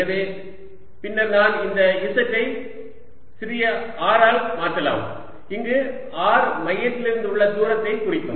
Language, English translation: Tamil, so later i can replace this z by small r, where r will indicated the distance from the center